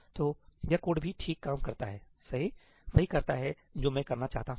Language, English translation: Hindi, So, this code also works fine, right does what I want to do